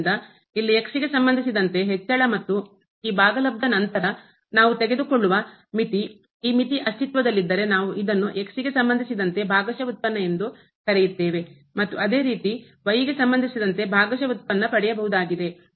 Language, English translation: Kannada, So, here the increment with respect to x and then, this quotient we have to take the limit if this limit exists, we will call it partial derivative with respect to and same thing for the partial derivative of with respect to